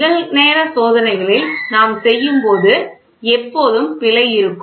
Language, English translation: Tamil, So, when we do in real time experiments there is always an error